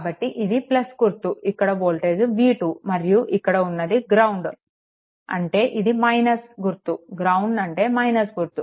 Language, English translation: Telugu, So, this is plus this voltage is v 2 and this is ground means it is minus this is ground minus, right